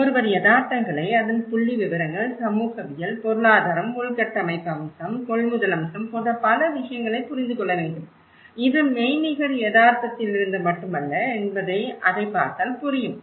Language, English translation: Tamil, You know this is; see, one has to understand the ground realities, the demographics of it, the sociology of it, the economics part of it, the infrastructural aspect, the procurement aspect so many other things, it is not just only from the virtual reality which one can look at it